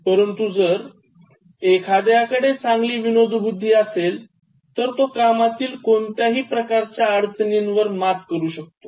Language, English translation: Marathi, But if one possesses a very good sense of humour, so one will be able to overcome any kind of difficulties in job